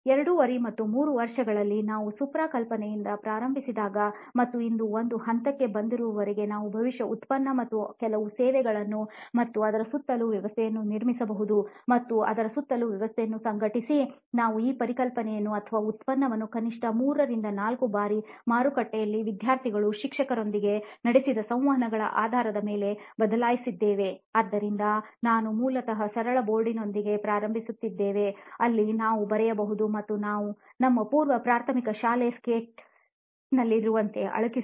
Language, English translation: Kannada, 5 and 3 years as we started from the idea stage where Supra has come up with the idea and till today where we have come up to a level we can probably build a product and few services and a system around it and organize system around it, we have changed this concept or the product in atleast 3 to 4 times basing on the interactions we had with the market, students, teachers, so we have basically started with a simple board a writing slate where we can just write and erase like in our pre primary school slate